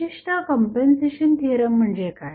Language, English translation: Marathi, So, this is what compensation theorem says